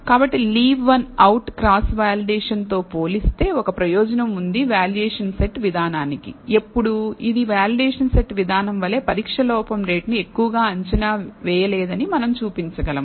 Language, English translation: Telugu, So, Leave One Out Cross Validation has an advantage as compared to the valuation set approach, when to, we can show that it does not overestimate the test error rate as much as the validation set approach